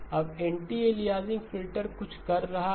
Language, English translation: Hindi, Now is anti aliasing filter doing anything at all